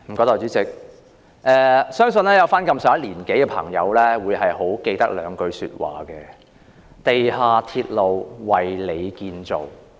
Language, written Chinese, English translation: Cantonese, 代理主席，相信年長的朋友會記得兩句話："地下鐵路為你建造"。, Deputy President I believe the older generation will remember the slogan of MTR―A Railway For You